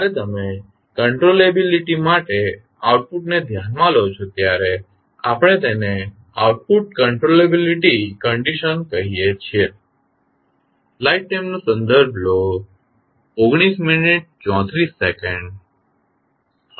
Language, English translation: Gujarati, When you consider output for the controllability we call it as output controllability condition